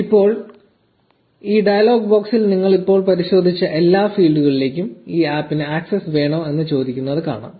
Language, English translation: Malayalam, Now, you see this dialogue box asking if you want this app to have access to all these fields that you just checked